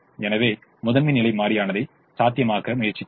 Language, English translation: Tamil, so we were trying to make the primal feasible